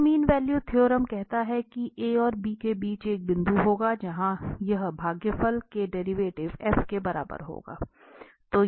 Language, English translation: Hindi, So, the mean value theorem says that, there will be a point between a and b where this quotient will be equal to the derivative of f